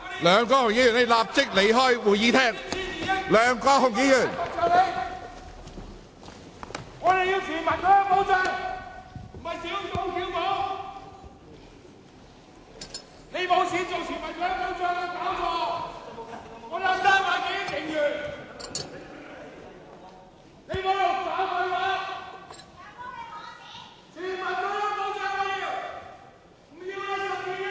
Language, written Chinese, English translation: Cantonese, 梁國雄議員，立即離開會議廳。, Mr LEUNG Kwok - hung leave the Chamber immediately